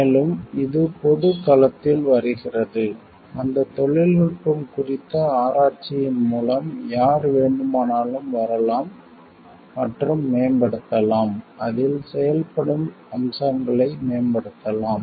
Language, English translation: Tamil, And it becomes comes in the public domain, where like, anybody can come and like improve through research on that technology, on that the functioning aspects and improve on it